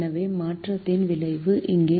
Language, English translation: Tamil, so the effect of change is here now